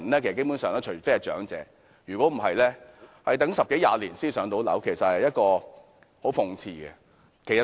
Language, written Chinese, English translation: Cantonese, 基本上除長者外，其他人要等十多二十年才能"上樓"，這實在非常諷刺。, Basically apart from the elderly other people have to wait more than 10 years before they are allocated a PRH unit which is very ironic